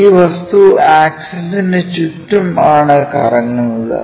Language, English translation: Malayalam, So, this revolving objects is about this axis